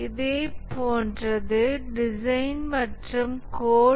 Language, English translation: Tamil, Similar is the design and the code